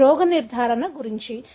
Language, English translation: Telugu, That is about diagnosis